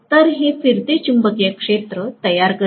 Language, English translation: Marathi, So, now this creates the revolving magnetic field